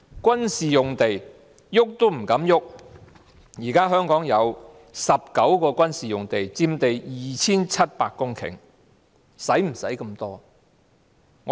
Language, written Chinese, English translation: Cantonese, 軍事用地碰也不敢碰，現時香港有19幅軍事用地，佔地 2,700 公頃，需要那麼多土地嗎？, Military sites are untouchable . Currently there are 19 military sites in Hong Kong occupying 2 700 hectares of land . Do they need such a lot of land?